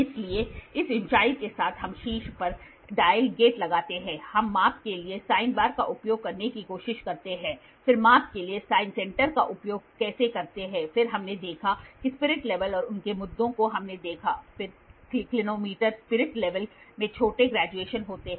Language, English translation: Hindi, So, with this height we put a dial gate on top we try to use sine bar for measurement sine center for measurement, then how to measure inclination we saw then spirit level and their issues we saw, then clinometer spirit level has smaller graduations